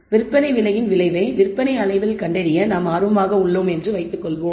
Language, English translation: Tamil, So, suppose we are interested in finding the effect of price on the sales volume